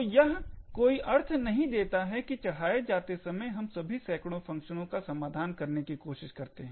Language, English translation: Hindi, So, it does not make sense that at loading time we try to resolve all of these hundreds of functions